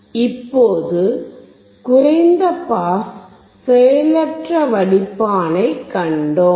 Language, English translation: Tamil, Now, we have seen the low pass passive filter